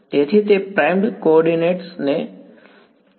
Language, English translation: Gujarati, So, that is primed coordinate